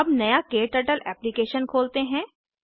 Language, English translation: Hindi, Lets open a new KTurtle Application